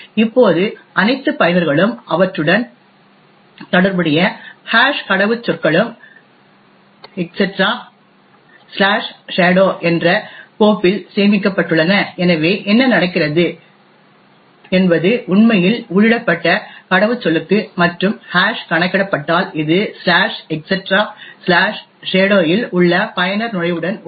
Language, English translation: Tamil, Now all users and their corresponding hashed passwords are stored in a file called etc/shadow, so what happens is that for the password that is actually entered, and hash computed this is compared with the corresponding user entry in the/etc /shadow